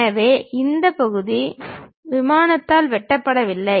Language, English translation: Tamil, So, this part is not sliced by the plane